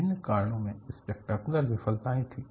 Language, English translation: Hindi, The failure was spectacular for various reasons